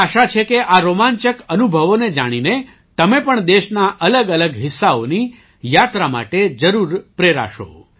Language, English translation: Gujarati, I hope that after coming to know of these exciting experiences, you too will definitely be inspired to travel to different parts of the country